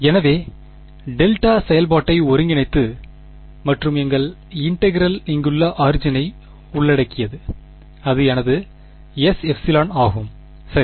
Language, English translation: Tamil, So, integrating the delta function and our integral is including the origin over here that is my S epsilon right